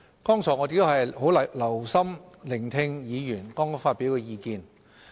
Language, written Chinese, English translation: Cantonese, 剛才我們很留心聆聽議員發表的意見。, We have just listened attentively to views expressed by Members